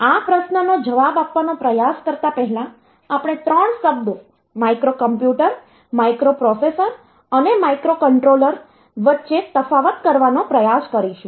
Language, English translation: Gujarati, So, we will try to differentiate between three terms microcomputer, microprocessor and microcontroller